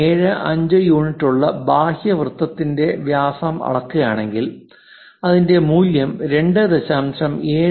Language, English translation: Malayalam, If someone measure the diameter of that outer circle, if it is 2